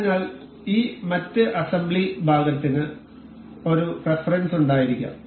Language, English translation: Malayalam, So, that this other assembly part may have a reference